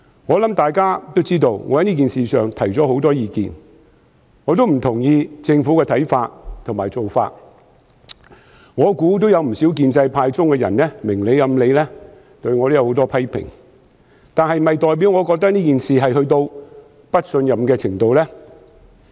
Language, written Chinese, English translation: Cantonese, 我想大家都知道，我在這件事情上提出了很多意見，我亦不認同政府的看法和做法，我猜想有不少建制派人士明裏暗裏對我有很多批評，但這是否代表我認為這件事達到不信任的程度呢？, I think Members are aware that I have put forward a lot of views on this matter and I also disagree with the views and practices of the Government . I guess many of those from the pro - establishment camp would have a lot of criticisms against me in public and in private . Yet does it mean that I think this matter has reached such a degree that we can no longer trust the Chief Executive?